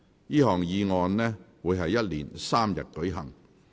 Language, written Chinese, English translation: Cantonese, 這項議案辯論會一連3天舉行。, The debate on this motion will last for three days